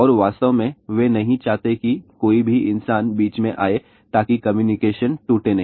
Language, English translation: Hindi, And in fact, they do not want any human being to be there in between so that the communication is not broken